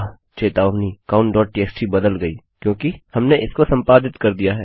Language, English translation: Hindi, count.txt has been changed because we have edited it